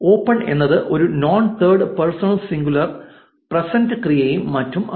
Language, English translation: Malayalam, open is a non third person singular present verb and so on